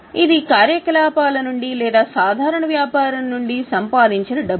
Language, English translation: Telugu, This is the money which we have generated from our operations or from our normal business